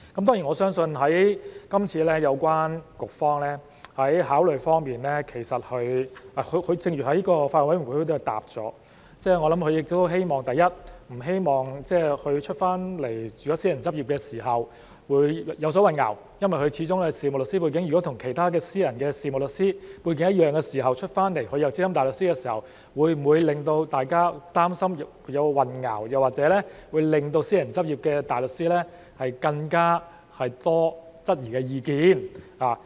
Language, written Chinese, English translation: Cantonese, 當然我相信今次政府當局在考慮時，正如他們在法案委員會的答覆，我想，第一，他們不希望有關人士離職後在外面轉為私人執業時會有所混淆，因為有關人士始終是事務律師背景，與其他的私人事務律師背景一樣，但他離職後在外執業仍是資深大律師的身份，會否令大家擔心或有混淆，或令私人執業的大律師有更多質疑的意見。, Of course I believe that as stated in the reply given to the Bills Committee in the course of consideration the Administration firstly does not want to create confusion after the person concerned have left and switched to private practice because such a person is after all of a solicitor background which is the same as other solicitors in private practice . Yet after departure he or she retains the SC status when engaging in private practice outside DoJ so will this cause any concern or confusion or will this arouse more sceptical views from barristers in private practice?